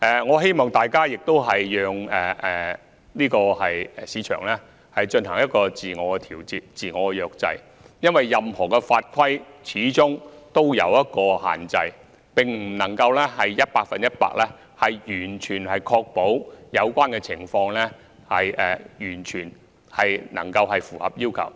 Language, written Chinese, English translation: Cantonese, 我希望大家也讓市場自我調節、自我約制，因為任何法規始終也有限制，並不能夠百分之一百確保有關情況符合要求。, I hope Members can let the market exercise self - regulation and self - restraint because ultimately all laws and regulations have limitations and cannot guarantee absolute compliance with the requirements in the relevant situations